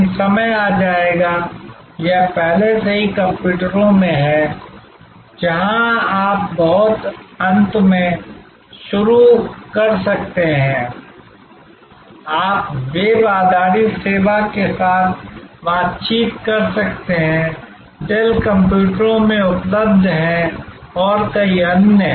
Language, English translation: Hindi, But, time will come, it is already there in computers, where you can start at the very end, you can interact with a web based service, available for in Dell computers and many other today